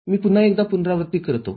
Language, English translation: Marathi, Let me repeat once more